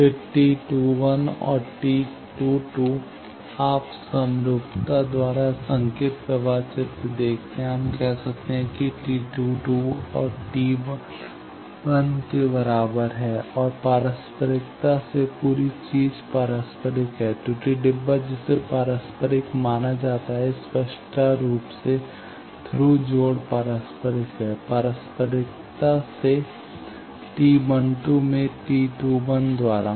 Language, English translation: Hindi, Then T 1 and T 22 you see the signal flow graph the by symmetry we can say that T 22 is equal to T 11 and by reciprocity, the whole thing is reciprocal error box is also be assumed to be reciprocal; obviously, Thru connection is reciprocal, by reciprocity T 21 in T 12